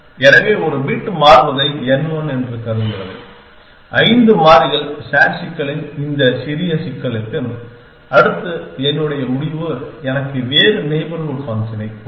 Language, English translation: Tamil, So, n 1 says change one bit see that for this small problem of five variables sat problem, next my end to will give me a different neighbor function